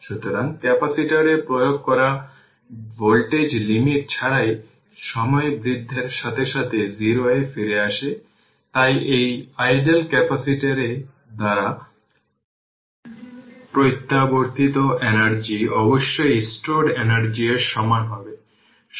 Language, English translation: Bengali, So, the voltage applied to the capacitor returns to 0 as time increases without your limit, so the energy returned by this ideal capacitor must equal the energy stored right